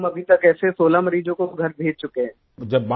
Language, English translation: Hindi, So far we have managed to send 16 such patients home